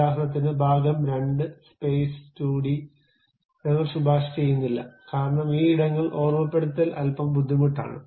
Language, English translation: Malayalam, For example, part 2 space 2d, I would not recommend you, because this remembering spaces will be bit difficult